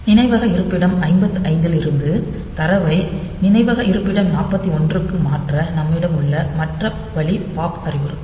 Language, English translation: Tamil, So, from memory location 55 we are transferring the data to the memory location 41 the other instruction that we have is the pop instruction